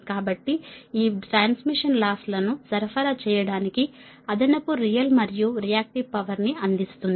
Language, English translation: Telugu, because this slack bus actually provide the additional real and reactive power to supply the transmission losses